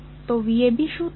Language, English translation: Gujarati, So, what will be V AB